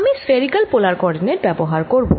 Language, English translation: Bengali, i am going to use spherical polar co ordinates